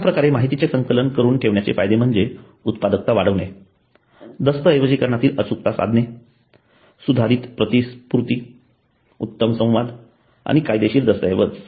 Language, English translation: Marathi, The benefits of keeping the record are increased productivity, accuracy in documentation, improved reimbursement, better communication and a legal document